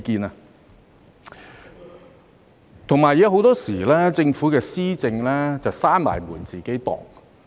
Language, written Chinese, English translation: Cantonese, 另外，政府的施政很多時候是"閉門自擬"。, Furthermore the policies implemented by the Government are often drawn up behind closed doors